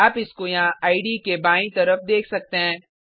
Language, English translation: Hindi, You can see it here on the left hand side of the IDE